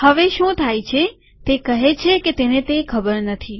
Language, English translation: Gujarati, What happens now, here it says that it doesnt know that